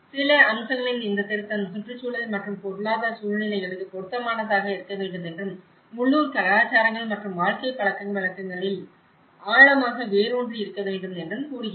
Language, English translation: Tamil, Some of the aspects says the revision should be relevant to environmental and economic circumstances and deeply rooted in local cultures and living habits